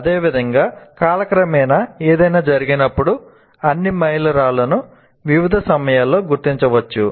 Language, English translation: Telugu, Similarly, when something happens over time, one can identify all the milestone as of at various times